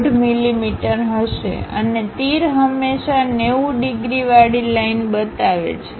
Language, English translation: Gujarati, 5 mm; and the arrows always be representing 90 degrees line